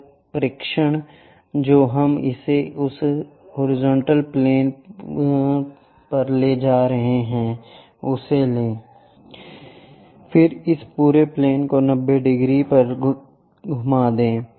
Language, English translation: Hindi, The projection what we are going to have it on that horizontal plane take it, then rotate this entire plane by 90 degrees